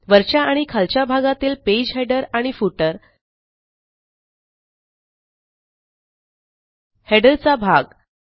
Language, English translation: Marathi, Page Header and Footer section that form the top and the bottom